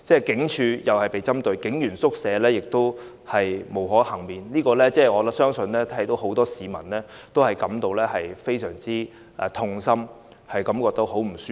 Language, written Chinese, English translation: Cantonese, 警署同樣被針對，警員宿舍亦不能幸免，我相信很多市民看到也會感到非常痛心和不舒服。, Police stations are also targeted and police quarters were not spared either . I believe many members of the public would feel very sorrowful and uncomfortable at seeing all this